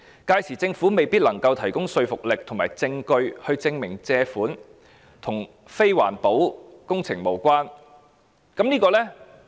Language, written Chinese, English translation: Cantonese, 屆時政府未必能提供具說服力的證據證明借款與非環保的工程無關。, Then the Government may not be able to offer compelling evidence to prove that the borrowed sums are unrelated to non - environmental protection projects